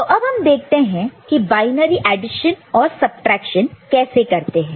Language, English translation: Hindi, Now, let us consider how we can do Binary Addition and Subtraction ok, in the binary system